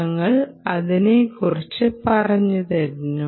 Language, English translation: Malayalam, we did talk about it